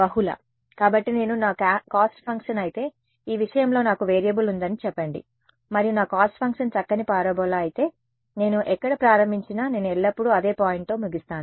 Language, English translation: Telugu, Multiple right; so, if I if my cost function let us say I have a variable in one this thing and if my cost function was a nice parabola, regardless of where I start I always end up with the same point